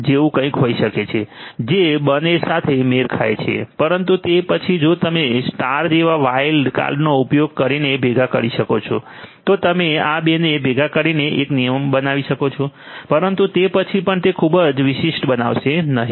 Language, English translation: Gujarati, * which will match both, but then although you can combine in the using a wild card like star etcetera you could combine these two in the form of one rule, but then that will also not make it very specific right